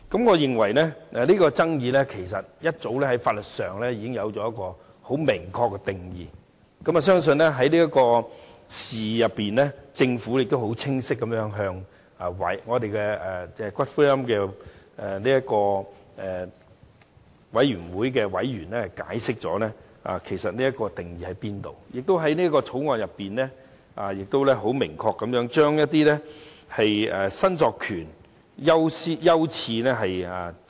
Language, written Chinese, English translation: Cantonese, 我認為這爭議其實在法律上早有明確定義，而我亦相信在這次事件中，政府已清晰地向《私營骨灰安置所條例草案》委員會的委員解釋相關定義，而在《條例草案》中，政府亦已明確列明骨灰申索權的優次。, I think that regarding such disputes specific definitions are already in place in law . I also believe that in respect of this matter the Government has offered members of the Bills Committee on Private Columbaria Bill a clear explanation of the definitions and in the Bill the Government has also specified the order of priority of claim for ashes